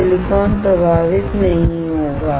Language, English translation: Hindi, Silicon will not get affected